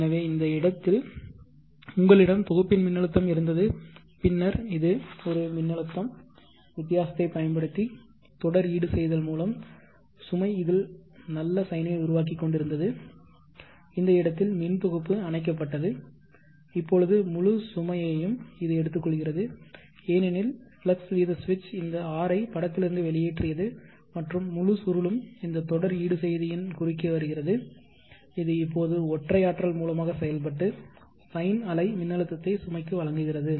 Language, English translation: Tamil, And the load voltage operation of that flux rate switch so let us say up to this point we had the grid voltage than this was a voltage a series compensator was making up for the difference to make the load sign at this point the grid went off now this is taking up the full load because the flux rate switch as operated and removed this R out of the puncture and the whole wielding is coming across this series compensator which is now acting as the single and only source and providing the sign wave voltage to the load observe here that here there was no grid the complete load was supplied by the series compensator voltage controlled inventor and at this point when the grid came into picture this switch flux rate switch opened out